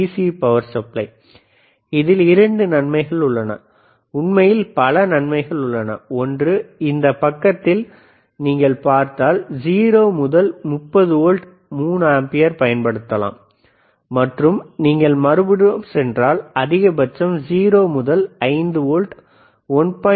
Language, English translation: Tamil, This is the locally manufactured DC power supply, but there are 2 advantages, in fact, I can say the multiple advantages isare, one is, see in this side if you see, 0 to 30 volts 3 ampere and if you go to thisother side, maximum is 0 to 5 volts 1